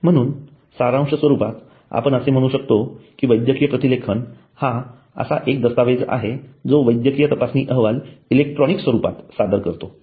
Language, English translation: Marathi, So in summary we can say that medical transcription is a document that states the medical investigation report in electronic form